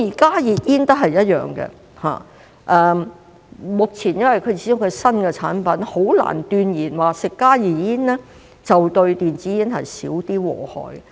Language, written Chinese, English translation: Cantonese, 加熱煙亦一樣，因為它始終是新產品，目前很難斷言吸食加熱煙相對電子煙會少一點禍害。, Since they are new products after all we can hardly say that smoking HTPs will be less harmful than e - cigarettes